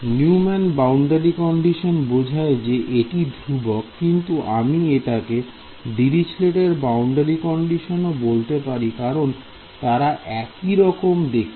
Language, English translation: Bengali, Neumann boundary condition is would mean that this term is constant, but this if I can also call it a Dirichlet boundary condition because if I look at this term